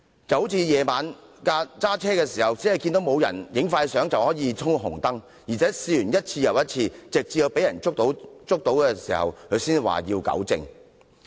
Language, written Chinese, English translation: Cantonese, 這種心態猶如在深夜駕車，以為沒有"影快相"便衝紅燈，而且一次又一次，直至被人逮個正着才說要糾正。, People having this kind of mentality can be likened to someone driving late at night . He repeatedly jumps the red light thinking that speeding photos will not be taken and will vow to make corrections when being caught